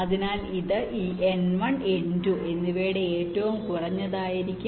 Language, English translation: Malayalam, ok, so this will be the minimum of this n one and n two